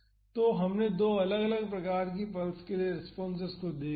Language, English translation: Hindi, So, we have seen the responses for two different types of pulses